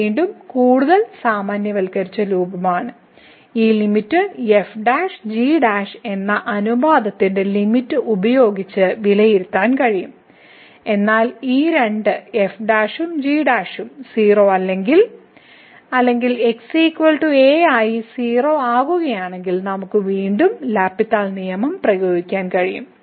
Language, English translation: Malayalam, So, the this is again more generalized form that this limit over can be evaluated by the limit of the ratio of prime prime, but if these two prime and prime become as goes to or is equal to then we can again apply the L’Hospital’s rule